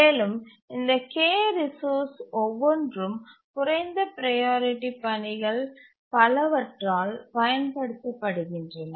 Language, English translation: Tamil, And each of this K resources is used by several of the lower priority tasks